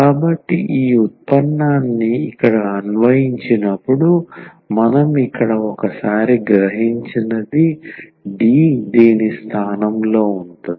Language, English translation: Telugu, So, what we realize here once when we have applied this derivative here the D is replaced by this a